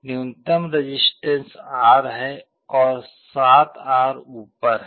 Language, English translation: Hindi, The lowest one has a resistance R below and 7R above